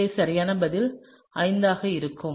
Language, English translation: Tamil, So, therefore, the correct answer would be 5